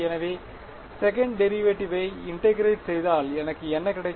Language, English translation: Tamil, So, if I integrate the second derivative what do I get